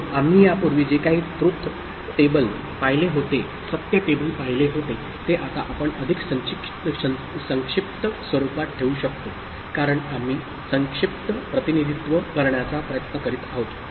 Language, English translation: Marathi, So, now we can, whatever truth table we had seen before, now we can put it in a more compact form since we are trying to come up with a compact representation